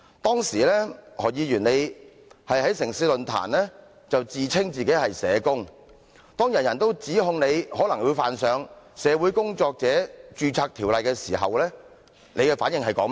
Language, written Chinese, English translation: Cantonese, 當時何議員在"城市論壇"自稱是社工，當人人都指控你，可能會犯上《社會工作者註冊條例》的時候，你的反應是甚麼？, Dr HO claimed that he was a social worker during a discussion in the City Forum programme . When accused widely in the community that you might have breached the Social Workers Registration Ordinance you responded that we were just a bunch of useless and fake social workers who were not properly fulfilling our duties